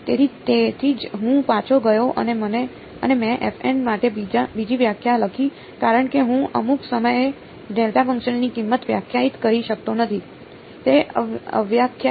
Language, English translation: Gujarati, So, that is why I went back and I wrote another definition for f m right because I cannot define the value of a delta function at some point, its a undefined right